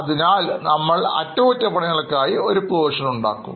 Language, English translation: Malayalam, Then we will make a provision for repair